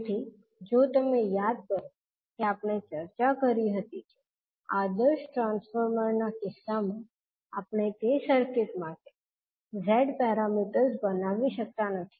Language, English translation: Gujarati, So, if you recollect that we discussed that in case of ideal transformers we cannot create the z parameters for that circuit